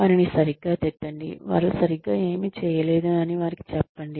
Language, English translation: Telugu, Scold them, tell them, what they did not do right